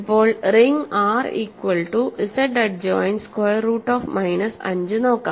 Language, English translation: Malayalam, Now, let us look at the ring R equal to Z adjoined square root of minus 5